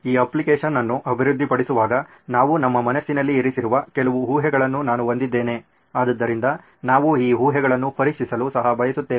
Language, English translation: Kannada, I have a few assumptions we’ve put in our mind while developing this application, so we would also like to test these assumptions